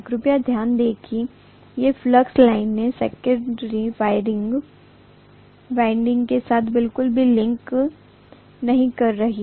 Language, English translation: Hindi, Please note that these flux lines are not linking with the secondary winding at all